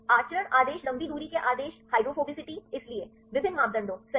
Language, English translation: Hindi, Conduct order long range order hydrophobicity so, various parameters right